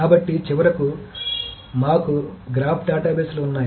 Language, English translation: Telugu, So finally we have the graph databases